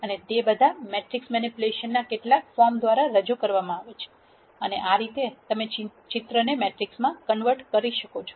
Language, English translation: Gujarati, And all of those are done through some form of matrix manipulation and this is how you convert the picture into a matrix